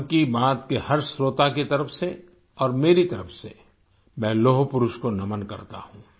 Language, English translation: Hindi, On behalf of every listener of Mann ki Baat…and from myself…I bow to the Lauh Purush, the Iron Man